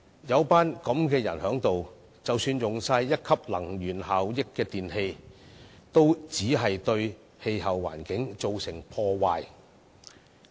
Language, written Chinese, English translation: Cantonese, 有這些議員在此，即使採用貼上1級能源標籤的電器，也會對氣候環境造成破壞。, The very presence of these Members here already causes damage to our climate and environment even if we use electrical appliances with Grade 1 energy labels